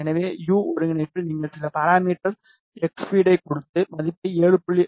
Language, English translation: Tamil, So, in u coordinate you gave some parameter x feed, and just give the value as 7